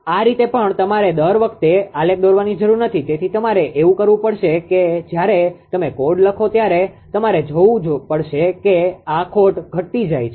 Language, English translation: Gujarati, This way this way although you need not plot the graph every time, so what you have to do is that you have to just you have to see that when you write the code actually you have to see this loss is decreasing, right